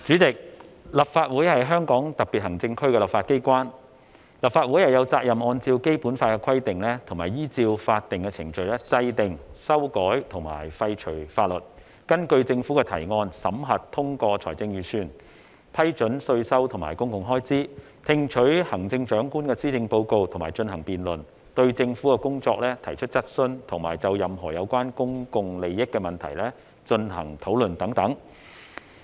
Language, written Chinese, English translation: Cantonese, 主席，立法會是香港特別行政區的立法機關，立法會有責任按照《基本法》的規定及依照法定程序制定、修改和廢除法律，根據政府的提案，審核、通過財政預算，批准稅收和公共開支，聽取行政長官的施政報告並進行辯論，對政府的工作提出質詢，以及就任何有關公共利益的問題進行討論等。, President the Legislative Council is the legislature of the Hong Kong Special Administrative Region HKSAR . The Legislative Council has the responsibility to enact amend and repeal laws in accordance with the provisions of the Basic Law and legal procedures; to examine and approve budgets introduced by the Government; to approve taxation and public expenditures; to receive and debate the policy addresses of the Chief Executive; to raise questions on the work of the Government; to debate any issue concerning public interests etc